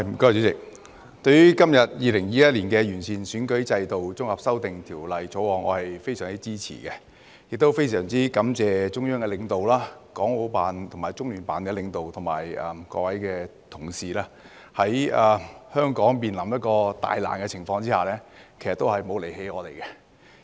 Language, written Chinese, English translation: Cantonese, 主席，對於今天的《2021年完善選舉制度條例草案》，我非常支持，亦非常感謝中央的領導、港澳辦及中聯辦的領導，以及各位同事，在香港面臨大難的情況之下，也沒有離棄我們。, President I am very supportive of the Improving Electoral System Bill 2021 the Bill today . I am also very grateful to the leaders of the Central Authorities the leaders of the Hong Kong and Macao Affairs Office and the Liaison Office of the Central Peoples Government in the Hong Kong Special Administrative Region and all my colleagues for not abandoning us even when Hong Kong is facing great difficulties